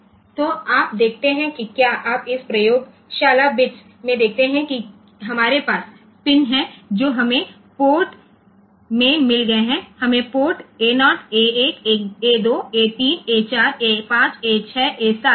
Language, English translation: Hindi, So, you see if you look into this lab bits that we have pins that we have we have got port a pins port A 0, A 1, A 2, A 3, A 4, A 5, A 6, A 7